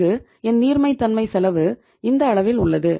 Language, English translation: Tamil, And here my cost of liquidity is up to this level